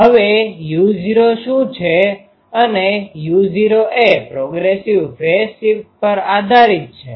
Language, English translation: Gujarati, Now what is u not u not is dependent on the progressive phase shift